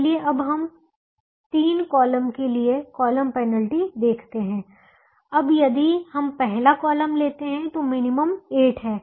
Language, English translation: Hindi, now we compute the column penalties: for the first column, the minimum cost is four